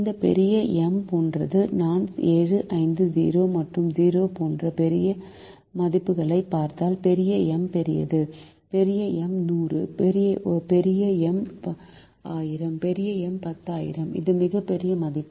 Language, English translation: Tamil, this big m is like, if look at the other values, like seven, five, zero and zero, big m is large, big m is hundred, big m is thousand, big m is ten thousand